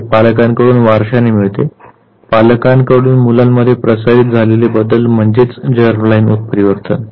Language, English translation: Marathi, It is inherited from the parents, such type of changes which gets transmitted to the child from their biological parents that is germ line mutation